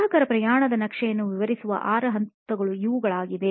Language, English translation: Kannada, These are the six steps of detailing out a customer journey map